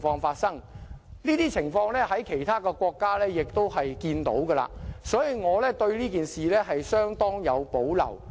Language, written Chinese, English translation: Cantonese, 這些情況在其他國家亦會看到，所以我對這件事相當有保留。, We have seen this happen in other countries and so I have great reservations about it